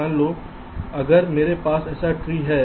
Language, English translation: Hindi, suppose if i have a tree like this